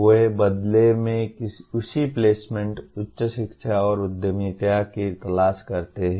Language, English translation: Hindi, They in turn seek the same placement, higher education and entrepreneurship